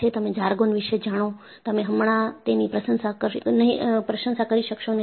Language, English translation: Gujarati, You know those jargons; you will not be able to appreciate it right now